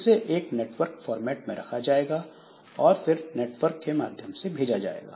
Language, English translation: Hindi, So they are onto a network format and then they are sent over the network